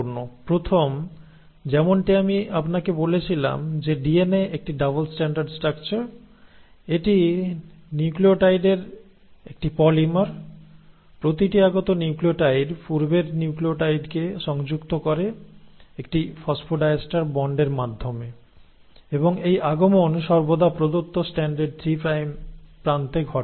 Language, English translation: Bengali, The first one, as I told you that DNA is a double stranded structure, it is a polymer of nucleotides, each incoming nucleotide attaches to the previous nucleotide through a phosphodiester bond and this incoming always happens at the 3 prime end of the given Strand